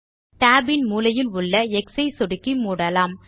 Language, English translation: Tamil, Lets close this tab by clicking on the x at the corner of the tab